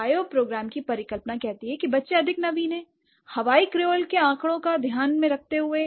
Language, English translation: Hindi, Bioprogram hypothesis says that the children are more innovative and taking into account the data from the Hawaiian Creole